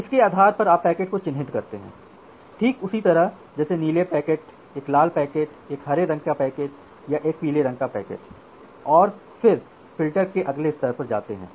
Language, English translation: Hindi, So, based on that you mark the packet so, just like a blue packet, a red packet, a green packet, or a yellow packet, like that and then go to the next filter next level of filters